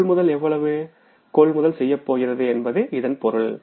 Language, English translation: Tamil, So it means the purchases will be, how much is going to be the purchases